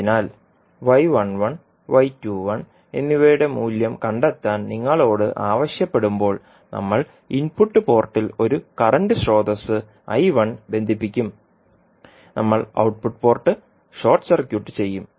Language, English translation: Malayalam, We will determine the value of y 11 and y 21 so when you are asked to find the value of y 11 and y 21 we will connect one current source I 1 in the input port and we will short circuit the output port so the circuit will be as shown in the figure